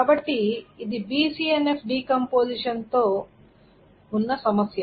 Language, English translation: Telugu, So this is this problem with BCNF decomposition